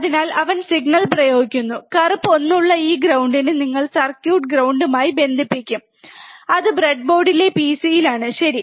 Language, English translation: Malayalam, So, he is applying signal, and you will connect this ground which is black 1 to the ground of the circuit, that is on the pc on the breadboard, alright